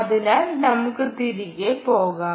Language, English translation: Malayalam, so let me go back